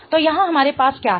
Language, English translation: Hindi, So, what do we have here